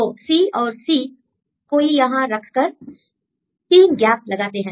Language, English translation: Hindi, So, C and C we put it here and they put 3 gaps